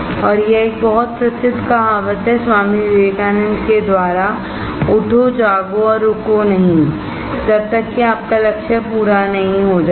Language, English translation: Hindi, And it is a very very famous saying by Swami Vivekanand, Arise, Awake and Stop not, until your goal is reached